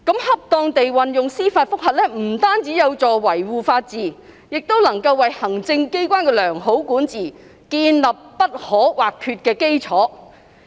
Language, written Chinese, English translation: Cantonese, 恰當地運用司法覆核不僅有助於維護法治，亦能為行政機關的良好管治建立不可或缺的基礎。, The proper use of judicial review serves to buttress the rule of law and provides an essential foundation to good governance of administrators